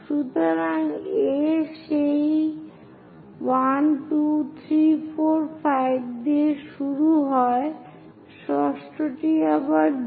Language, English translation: Bengali, So, A begin with that 1, 2, 3, 4, 5; the sixth one is again B